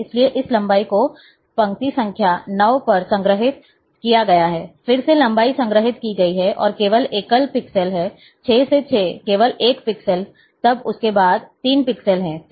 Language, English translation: Hindi, So, this is length has been stored at row number 9, then row number 9, again the length has been stored, and as only single pixel is there, 6 to 6 only 1 pixel, then there are 3 pixels